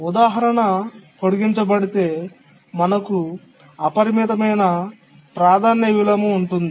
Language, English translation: Telugu, If we extend this example, we come to the example of an unbounded priority inversion